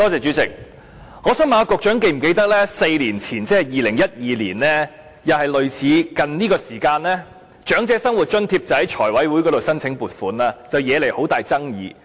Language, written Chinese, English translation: Cantonese, 主席，我想問局長是否記得在4年前，即2012年，也是大概這個時間，當局就長者生活津貼向財委會申請撥款，惹起很大爭議。, President I would like to ask the Secretary if he remembers that four years ago that is in 2012 and also at about the same time of the year the authorities applied to the Finance Committee for funding for the Old Age Living Allowance OALA and a great deal of controversy was aroused